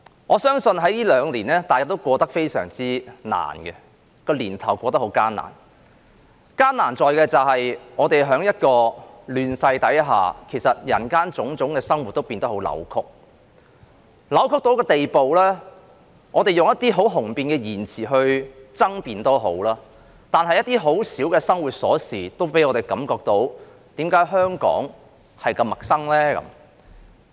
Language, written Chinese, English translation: Cantonese, 我相信這兩個年頭大家都過得十分艱難；艱難在於，我們在亂世下，其實人間種種的生活也變得很扭曲，扭曲到一個地步，即使我們以一些很雄辯的言詞來爭辯，一些很小的生活瑣事也令我們感到，為何香港那麼陌生？, I believe that we have all had a difficult time in these two years . The difficulty lies on the fact that we live in a chaotic world where various aspects of human life have actually become distorted to the point that even if we used eloquent language to make our case some trivial matters in life would still make us feel and wonder why Hong Kong is so strange